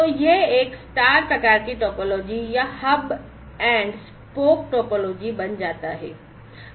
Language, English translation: Hindi, So, this becomes a star kind of topology or a hub and spoke topology